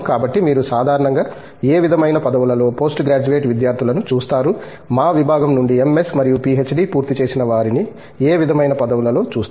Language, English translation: Telugu, So, what sort of positions did you typically see post graduate students, people completing MS and PhD from our department